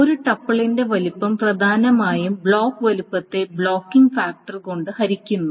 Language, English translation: Malayalam, And the size of a tuple one, again the size of a tuple is essentially the block size by the divided by the blocking factor